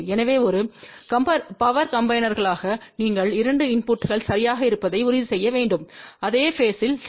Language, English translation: Tamil, So, as a power combiner you have to ensure that the 2 inputs are exactly at the same phase ok